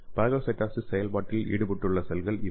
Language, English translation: Tamil, So these are the cells will be involved in this phagocytosis process